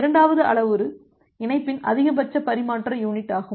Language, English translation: Tamil, The second parameter is the maximum transmission unit of the link